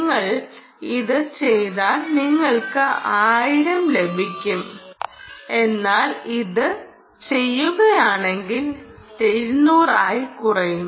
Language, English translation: Malayalam, if you do this you get one thousand, and if you do this you are down to two hundred